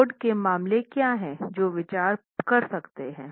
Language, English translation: Hindi, What are the load cases we can consider